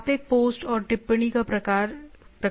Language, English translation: Hindi, You can set get post and type of comment